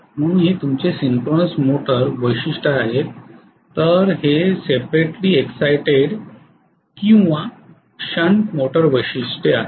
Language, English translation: Marathi, So this is your synchronous motor characteristics whereas this is separately exited or shunt motor characteristics, right